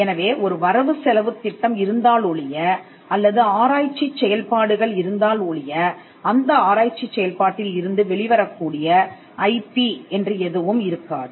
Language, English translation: Tamil, So, unless there is a budget or unless there is research activity there will not be any IP that comes out of research activity